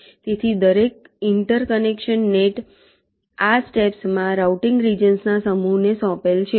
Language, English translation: Gujarati, ok, so each interconnection net is assigned to a set of routing regions